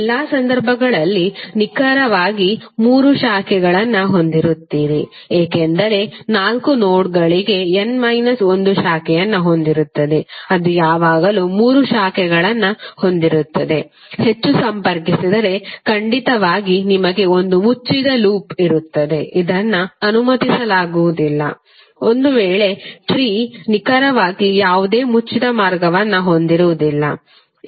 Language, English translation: Kannada, In all the cases if you see there would be precisely three branches because it will contain n minus one branch for four nodes it will always have three branches, if you connect more, then definitely you will have one closed loop which is not allowed in this case so tree will have precisely no closed path